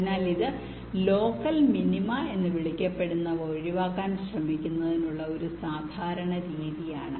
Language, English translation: Malayalam, so this is a very standard method of trying to avoid something called local minima